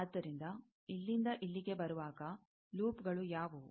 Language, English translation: Kannada, So, while coming from here to here, what are the loops